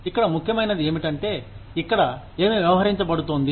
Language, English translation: Telugu, What is important here is, what is being dealt with here